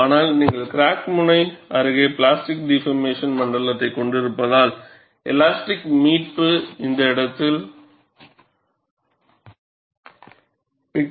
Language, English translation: Tamil, But because you have plastically deformed zone near the crack tip, the elastic recovery will go and compress this zone